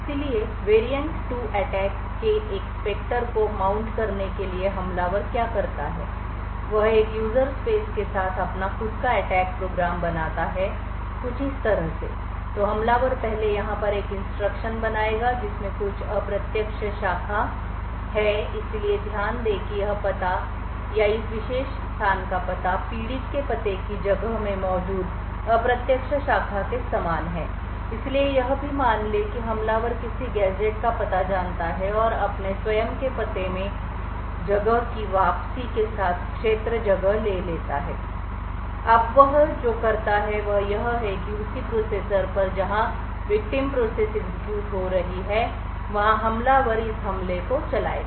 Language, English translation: Hindi, So in order to mount a Spectre of variant 2 attack a what the attacker does is he creates his own attack program with a user space as follows so the attacker will first create an instruction over here which has some indirect branch so note that this address or the address of this particular location is exactly identical to the indirect branch present in the victim's address space so also what is assume is the attacker knows the address of some gadget and in his own address space replaces this area with a return so now what he does is that on the same processor that is executing this victim's process the attacker would run this attack program